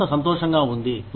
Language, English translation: Telugu, The organization is happy